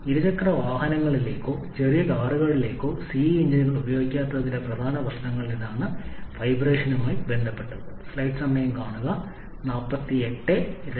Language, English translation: Malayalam, That is one of the big issues of not applying CI engines to two wheelers or smaller cars, the vibration related problems etc